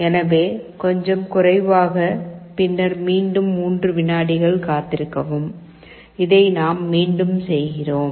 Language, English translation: Tamil, So, a little less, then again wait for 3 seconds and this we repeat